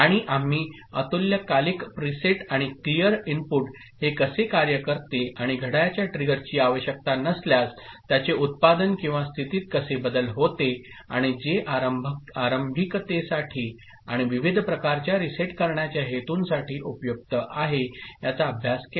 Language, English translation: Marathi, And we also studied asynchronous preset and clear input, how it performs and how it changes the output or the state without requirement of a clock trigger and which is useful for initialization and various kind of resetting purposes